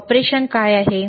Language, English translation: Marathi, Is it operation